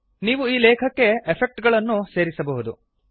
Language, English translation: Kannada, You can even add effects to this text